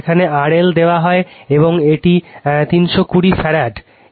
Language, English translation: Bengali, This is R L is given, and this is 320 peak of farad